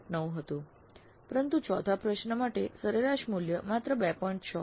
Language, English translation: Gujarati, 9 but for fourth question the average value is only 2